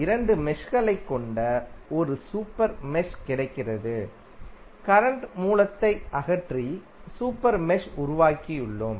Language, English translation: Tamil, We get a super mesh which contains two meshes and we have remove the current source and created the super mesh